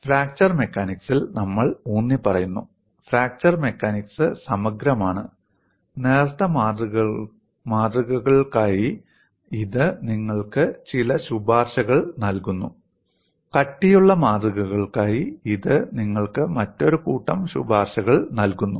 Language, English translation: Malayalam, We have been emphasizing in fracture mechanics; fracture mechanics is holistic; it gives you certain recommendation for thin specimens; it gives you another set of recommendations for thick specimens